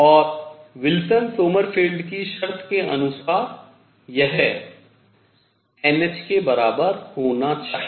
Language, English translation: Hindi, And according to Wilson Sommerfeld condition this must equal n h